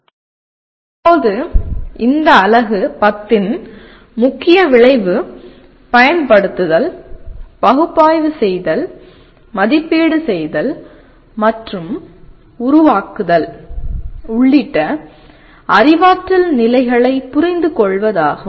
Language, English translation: Tamil, Now this Unit 10, the main outcome is understand the cognitive levels including Apply, Analyze, Evaluate and Create